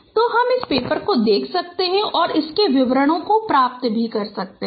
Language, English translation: Hindi, So you can look at this paper and get the details